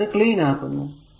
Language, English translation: Malayalam, So, let me clean it right